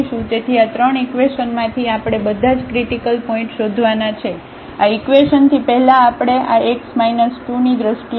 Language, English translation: Gujarati, So, out of these 3 equations we have to find all the critical points, from this equation first we will write down this x minus 2 in terms of lambda